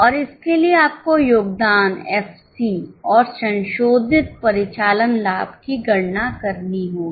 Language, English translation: Hindi, And for that you have to calculate contribution, EPC and revised operating profit